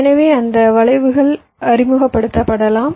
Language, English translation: Tamil, so because of that skews might be introduced